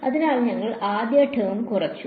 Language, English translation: Malayalam, So, we have reduced this first term